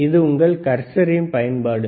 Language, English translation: Tamil, This is the use of your cursor, right,